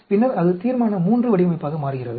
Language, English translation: Tamil, Then, that becomes Resolution III design